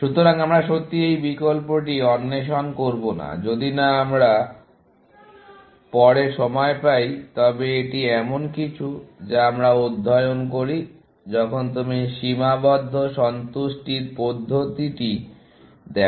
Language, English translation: Bengali, So, we will not really, explore this option, here, unless we get time later on, but it is something that we study, when you look at constrain satisfaction method, essentially